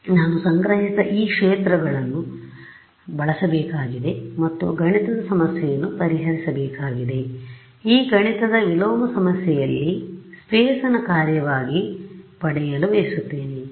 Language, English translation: Kannada, So, I have to use these fields that I have collected and solve a mathematical problem, this mathematical problem is what is called in inverse problem to get permittivity as a function of space